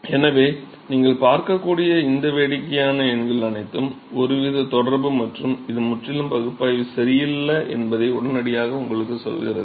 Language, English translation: Tamil, So, all this funny numbers you can see immediately tells you that it some sort of correlation this is not completely analytical ok